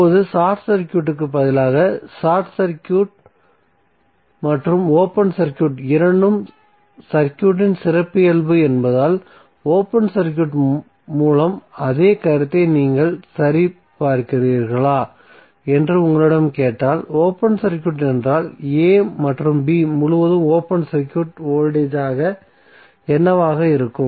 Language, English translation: Tamil, Now, instead of short circuit suppose if you are asked, if you are verifying the same concept with the open circuit because short circuit and open circuit are both the characteristic of the circuit, so in case of open circuit what will happen what would be the open circuit voltage across a and b